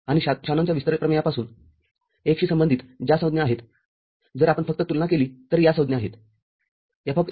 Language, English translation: Marathi, And the terms that are associated with 1 from the Shanon’s expansion theorem, if we just compare, these are the terms